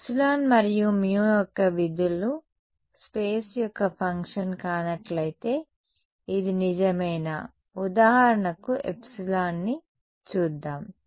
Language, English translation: Telugu, Is this true only if epsilon and mu are functions of are not function of space let us look at me epsilon for example